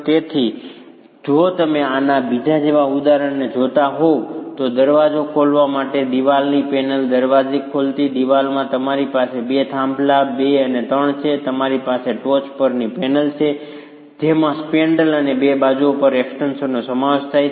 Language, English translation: Gujarati, So, if you were to look at another example such as this one, a wall panel with a door opening, a wall with a door opening, you have two pairs, two and three, and you have the panel at the top comprising of the spandrel and the extensions on the two sides